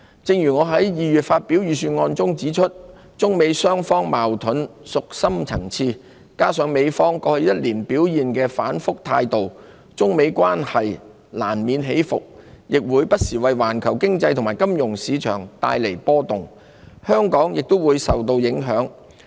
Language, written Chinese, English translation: Cantonese, 正如我在2月發表的預算案中指出，中美雙方的矛盾屬深層次，加上美方過去1年表現出反覆的態度，中美關係難免起伏，並會不時為環球經濟和金融市場帶來波動，香港也會受到影響。, As I pointed out in the presentation of the Budget in February given the deep - rooted nature of the differences between the two countries coupled with the vacillation in attitude displayed by the United State over the past year the relations between China and the United State will inevitably fluctuate sending shockwaves across the global economy and financial markets from time to time with Hong Kong succumbing to the effects as well